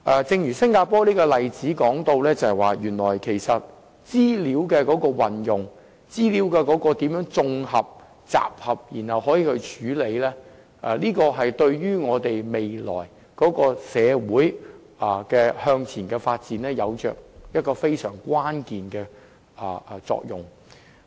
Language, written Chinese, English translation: Cantonese, 正如新加坡的這個例子，原來如何運用、綜合、集合和處理資料，對我們未來社會向前發展有非常關鍵的作用。, From this example of Singapore we have come to realize the way in which information is used integrated gathered and processed has a pivotal role in future advancement of our society